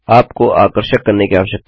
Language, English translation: Hindi, You need to be attractive